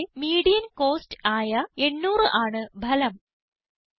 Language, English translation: Malayalam, The result shows 800, which is the median cost in the column